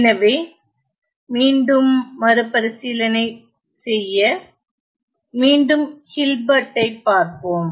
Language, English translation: Tamil, So, again to recap let us again look at the Hilbert